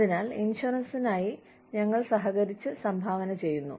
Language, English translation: Malayalam, So, we are collaboratively contributing, towards the insurance